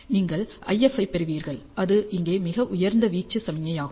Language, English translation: Tamil, You get an IF which is the highest amplitude signal over here